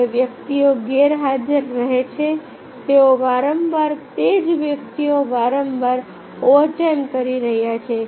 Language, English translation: Gujarati, the persons those were remaining absent, they are frequently doing the same persons are frequently doing the overtime